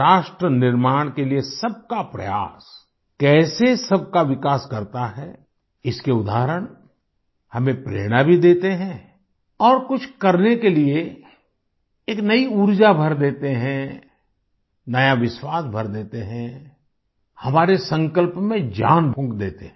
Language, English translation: Hindi, The examples of how efforts by everyone for nation building in turn lead to progress for all of us, also inspire us and infuse us with a new energy to do something, impart new confidence, give a meaning to our resolve